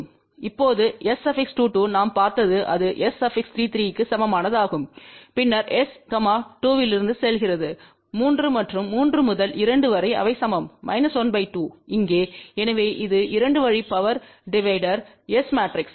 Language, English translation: Tamil, Now S 2 2 we had seen that is equal to half same as S 3 3 and then S going from 2 to 3 and 3 to 2 they are equal to minus half over here, so that is the S matrix of 2 way power divider